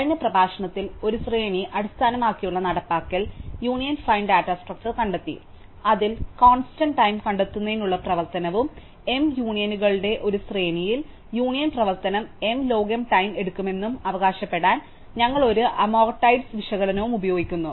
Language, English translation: Malayalam, In the last lecture, we saw an array based implementation of the union find data structure, in which the find operation to constant time and we use an amortized analysis to claim that the union operation over a sequence of m unions would take m log m time